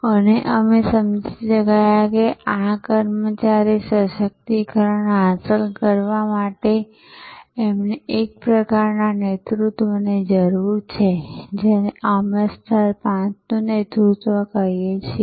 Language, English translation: Gujarati, And we understood that to achieve this employee empowerment, we need a kind of leadership which we call the level five leadership which is so well depicted in the biography of Dr